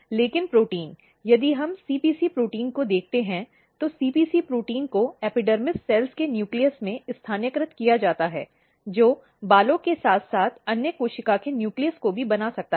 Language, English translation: Hindi, But the protein, if we look CPC protein, CPC protein is localized to the nucleus of epidermis cells which can make the hairs as well as other cell’s nucleus